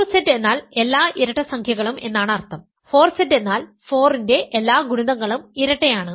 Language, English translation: Malayalam, 2Z means all even integers, 4Z means all multiples of 4 certainly every multiple of 4 is even